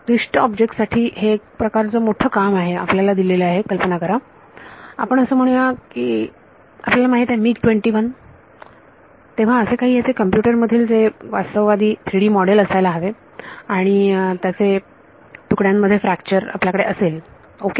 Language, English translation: Marathi, So, for complicated objects this is itself for big task imagine you are given let us say like you know some you know MiG 21 or something you need to have a realistic 3D model of this in the computer and then you have to for the fracture it ok